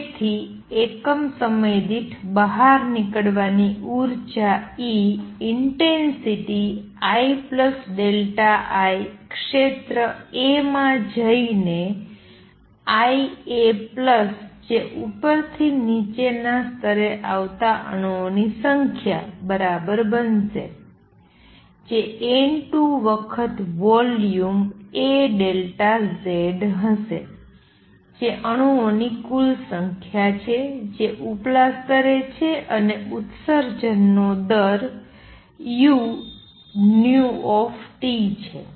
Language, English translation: Gujarati, So, per unit time energy going out is going to be E intensity I plus delta I going across the area a is going to be equal to I a plus the number of atoms which are coming from upper to lower level is going to be N 2 times the volume a delta Z; that is a total number of atoms that are in the upper level and the rate of emission is u nu T